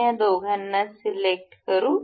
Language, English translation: Marathi, We will select these two